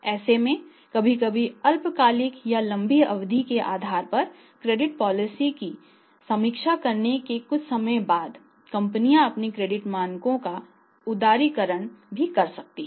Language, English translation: Hindi, So, sometime after reviewing the Credit Policy maybe for the short term basis or on the short term basis are on the long term basis sometime companies even say say say liberalise their credit standards